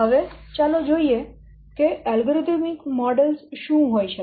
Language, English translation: Gujarati, Now let's see what are the advantages of algorithm methods